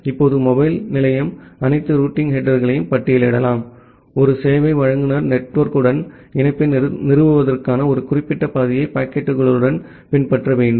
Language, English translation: Tamil, Now the mobile station it can list all the routing header, for the packets to follow a particular path for establishing a connection with a service provider network